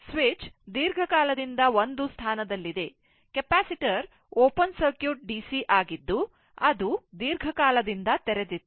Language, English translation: Kannada, Switch has been in a position for long time the capacitor was open circuited DC as it was in the long position